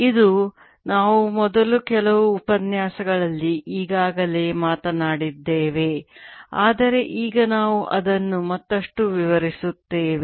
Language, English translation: Kannada, this is something we have already talked about in first few lectures but now will explain it further